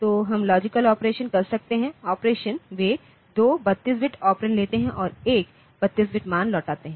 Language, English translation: Hindi, So, we can do logical operation then all operations they take 2, 32 bit operands and return one 32 bit value